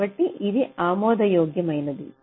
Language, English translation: Telugu, so this can be acceptable